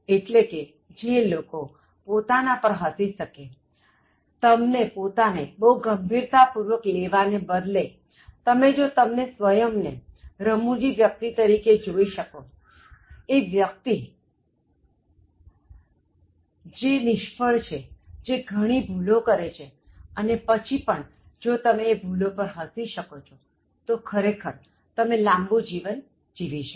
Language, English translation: Gujarati, So those who are able to laugh at themselves; instead of taking you very seriously, if you can see you as a funny person, as a person who is fallible, who is likely to commit errors or prone to mistakes and then if you learn how to laugh at those mistakes, you actually live longer